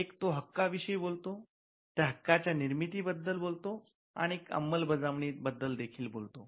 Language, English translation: Marathi, One it talks about the rights, it talks about the creation of those rights, and it also talks about enforcement